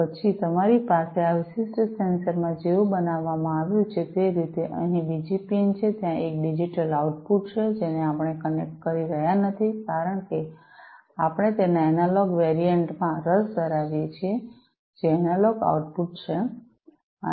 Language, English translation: Gujarati, Then you have there is another pin over here in this particular sensor the way it has been made, there is a digital output which we are not connecting because you know its you know we are interested in the analog variant of it which is the analog output